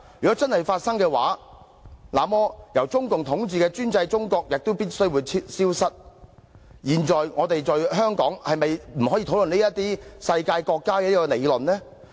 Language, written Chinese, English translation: Cantonese, 若真的會發生，那麼由中共統治的專制中國也必會消失，現在我們在香港是否就不可以討論"世界國家"這個理論呢？, If this really happens the totalitarian China ruled by the Communist Party of China CPC will also surely disappear so does it mean the discussion on this theory of world state is not allowed in Hong Kong at present?